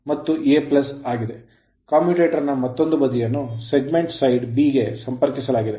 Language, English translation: Kannada, Another side of the commutator connected to segment side b right